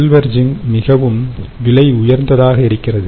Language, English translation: Tamil, of course, silver zinc will be more expensive